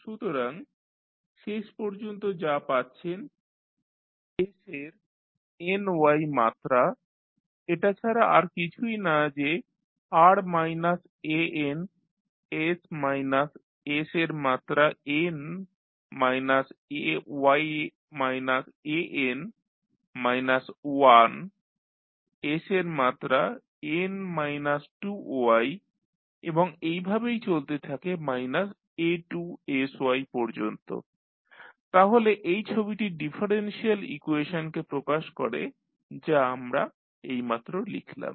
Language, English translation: Bengali, So, what you get finally that is s to the power ny is nothing but r minus an s minus s to the power n minus y minus an minus 1 s to the power n minus 2y and so on up to minus a2sy minus a1y, so this particular figure represents the differential equation which we just written